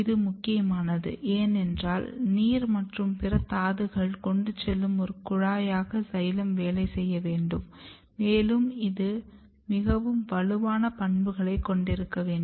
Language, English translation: Tamil, And they this is very important, because xylem has to work as a tube for conducting water and other minerals or it has to have a very strong mechanical property to be able to transport this